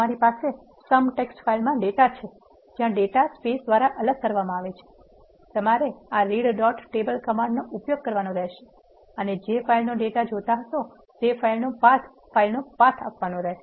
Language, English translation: Gujarati, Let say you have data in a sum text file where the data is separated by spaces, you have to use this command read dot table and path is equal to path of the file which from which you want import the data